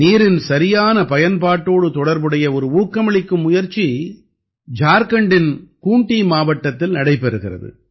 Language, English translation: Tamil, An inspiring effort related to the efficient use of water is also being undertaken in Khunti district of Jharkhand